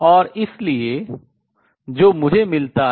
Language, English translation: Hindi, Then what do I have